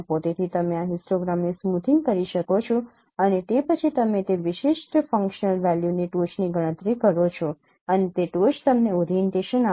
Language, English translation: Gujarati, So even you can perform smoothing of this histogram and then you compute the peak of that particular functional value and that peak will give you the orientation